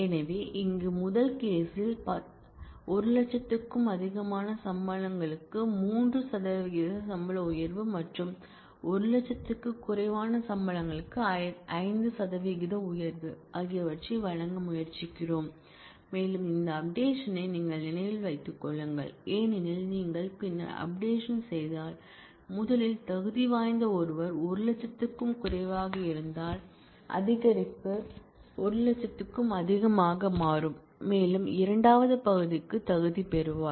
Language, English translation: Tamil, So, here in the in the first case; we are giving trying to give a 3 percent salary raise for salaries which are more than 100,000 and some 5 percent raise for salaries which are less than equal to 100,000 and mind you this order in which you do the update is important, because if you do the later update first then someone who was what qualified in the later part was less than 100,000 with the increase will become more than 100,000 and will also qualify for the second one